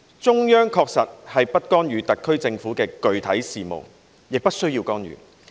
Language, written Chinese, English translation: Cantonese, 中央確實是不干預特別行政區的具體事務的，也不需要干預。, The Central Government certainly will not intervene in the day - to - day affairs of the Special Administrative Region nor is that necessary